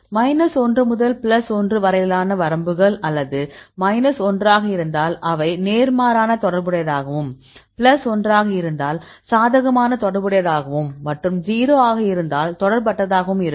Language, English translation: Tamil, Ranges from minus 1 to plus 1, if it is minus 1 they are inversely, related and plus 1 it is positively related and if it is 0; it is not related; then depending upon the numbers for example, 0